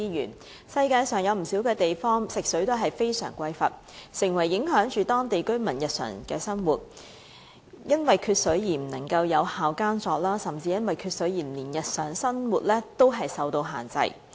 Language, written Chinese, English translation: Cantonese, 在世界上不少地方，食水都非常匱乏，以致影響當地居民的日常生活，因為缺水而不能有效耕作，甚至因為缺水而令日常生活受到限制。, In many places of the world fresh water supply is grossly inadequate . As a result the daily lives of the local residents are affected as shortage in water supply hinders effective farming and even the daily lives are being restricted by the shortage in water supply